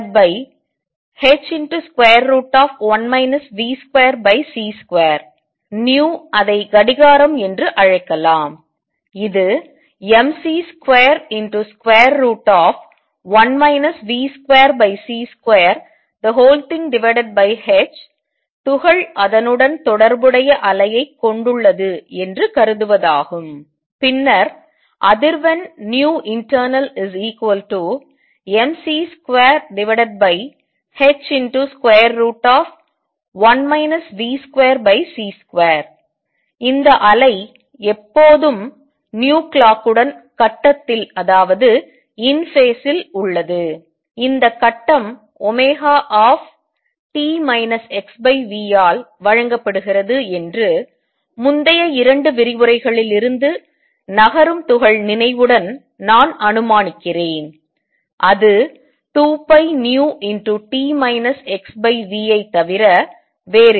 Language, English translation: Tamil, And nu let us call it clock, which is mc square, square root of one minus v square over c square over h is to assume that the particle has a wave associated with it, and then the frequency nu internal equals mc square over h square root of 1 minus v square over c square, and this wave is always in phase with nu clock, that I am assuming remains with the moving particle recall from previous 2 lectures that this phase is given by omega t minus x by v which is nothing, but 2 pi nu t minus x over v